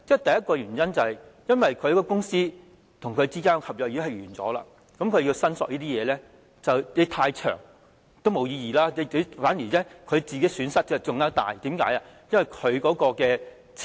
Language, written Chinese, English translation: Cantonese, 第一個原因，是公司與僱員之間的合約已結束，如果在長時間後才進行申索是沒有意義的，反而會令人損失更大，因為拿不到金錢。, The first reason is that since the contract between a company and an employee has ended if a claim is made only a long time afterwards it will be meaningless and even greater losses will be incurred because one cannot get the money back